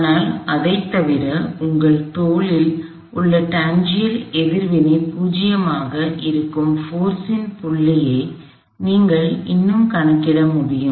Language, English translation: Tamil, But, other than that still we have to calculate a point of action of the force at which the tangential reaction that you are shoulder is 0